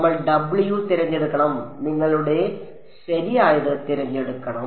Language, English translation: Malayalam, We have to choose w’s and we have to choose u’s correct